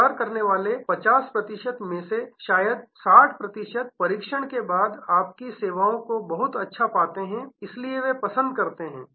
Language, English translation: Hindi, Of the 50 percent who consider, maybe 60 percent after trial find your services pretty good, so they prefer